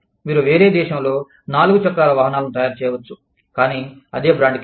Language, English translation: Telugu, You could be making, four wheelers, in a different country, but, under the same brand